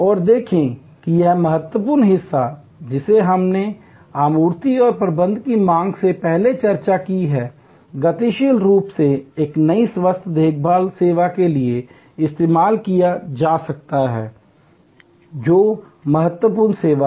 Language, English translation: Hindi, And see how this critical part that we have discuss before of managing supply and demand dynamically can be used for a new health care service, critical service gainfully